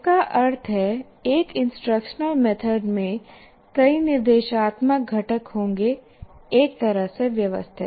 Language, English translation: Hindi, That means, an instructional method will have several instructional components organized in one particular way